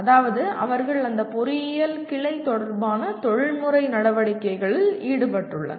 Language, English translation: Tamil, That means they are involved in professional activities related to that branch of engineering